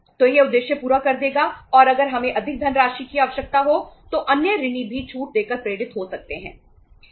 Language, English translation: Hindi, So that will serve the purpose and if we need more funds then the other debtors also can be induced by giving the discount